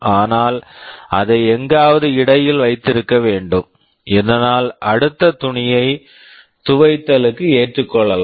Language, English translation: Tamil, You must keep it somewhere in between, so that you can accept the next cloth for washing